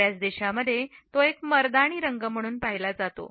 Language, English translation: Marathi, In most countries, it is viewed as a masculine color